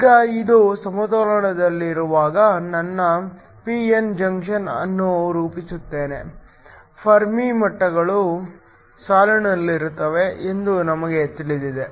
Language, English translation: Kannada, Now, I form a p n junction when this is at equilibrium, we know that the Fermi levels line up